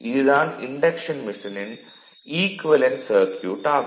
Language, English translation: Tamil, So, this is the equivalent circuit of the induction machine right